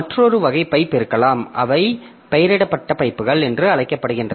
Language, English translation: Tamil, So, there can be another type of pipe which is called named pipes